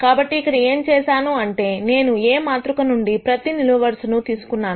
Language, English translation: Telugu, So, what I have done here is, I have taken each one of these columns from matrix A